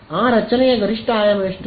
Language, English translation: Kannada, What is the maximum dimension of that structure